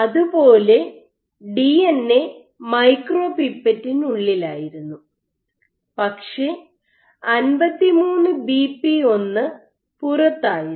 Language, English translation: Malayalam, So, DNA was inside the micropipette, but 53BP1 was outside